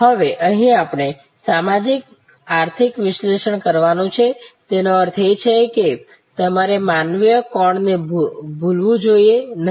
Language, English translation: Gujarati, Now, here we have to do a socio economic analysis; that means, you should not forget the human angle